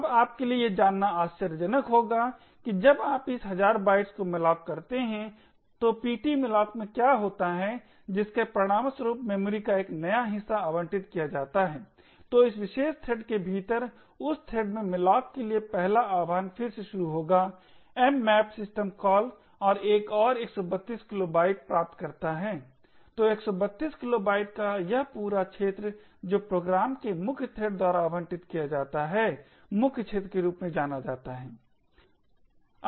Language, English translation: Hindi, Now it will be surprising for you to know that when you malloc this thousand bytes what happens in ptmalloc is that it would result in a new chunk of memory getting allocated, so within this particular thread 1st invocation to malloc in that thread would again invoke the mmap system call and obtain another 132 kilobytes, so this entire area of 132 kilobytes which is allocated by the main thread of the program is known as the main arena